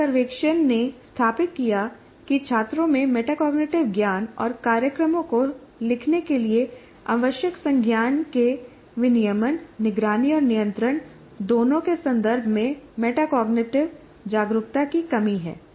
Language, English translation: Hindi, A survey established that students lack metacognitiveitive awareness both in terms of metacognitive knowledge and regulation are what we are calling monitoring and control of cognition needed for writing programs